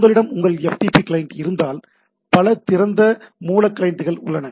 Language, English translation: Tamil, So, if you if you have your FTP client like there are very there are several open source client